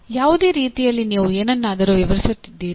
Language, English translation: Kannada, In whatever way, you are explaining something